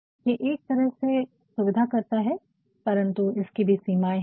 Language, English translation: Hindi, So, it in a way facilitates, but then itagain also has got certain limitations